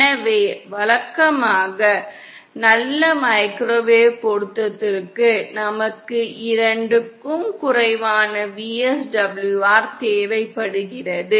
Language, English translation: Tamil, So, usually for good microwave matching, we require VSWR of less than 2